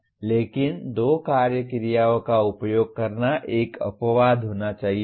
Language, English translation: Hindi, But using two action verbs should be an exception